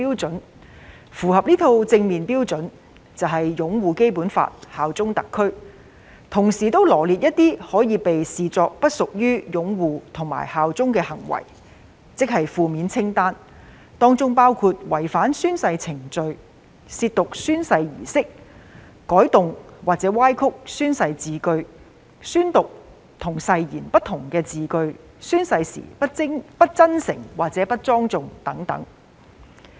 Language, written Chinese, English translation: Cantonese, 如符合這套正面標準，即屬擁護《基本法》、效忠特區；同時亦羅列出一些可被視為不擁護《基本法》和不效忠特區的行為，即"負面清單"，當中包括違反宣誓程序、褻瀆宣誓儀式、改動或歪曲宣誓字句、宣讀與誓言不同的字句，以及宣誓時不真誠或不莊重等。, If this positive list of criteria is satisfied a person will be regarded as upholding the Basic Law and bearing allegiance to SAR . Certain acts that will be regarded as failing to uphold the Basic Law and bear allegiance to HKSAR have also been set out in the so - called negative list which include contravening the oath - taking procedure desecrating the oath - taking ceremony altering or distorting the wording of the oath saying words that do not accord with the wording of the oath and taking the oath in a way that is not sincere or not solemn